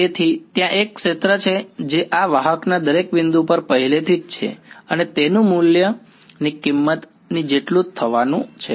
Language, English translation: Gujarati, So, there is a field that is already there at every point of this conductor and its value is going to just be equal to the value of the